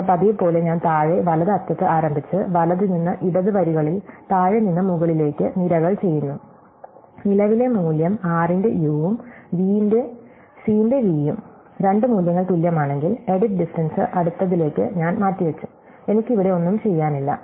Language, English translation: Malayalam, Then, as usual I start at the bottom right end and I do columns in right to left rows from bottom to top, if the current value if the two values that I am looking at u of r and v of c are the same, then I just postponed the edit distance to the next thing, I have nothing to do here